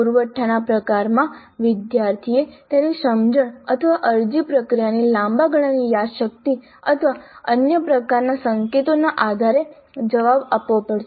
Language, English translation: Gujarati, In the supply type, the student has to supply the answer based on his or her understanding or long time memory of the apply procedure or other kinds of clues